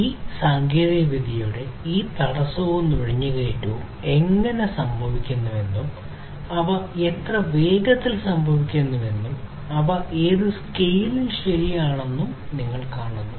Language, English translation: Malayalam, So, you see that how this disruption and penetration of these technologies are happening and how fast they are happening and in what scale they are happening right